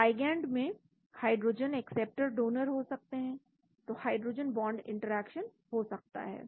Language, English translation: Hindi, There could be hydrogen acceptors, donors in the ligand, so there could be a hydrogen bond interaction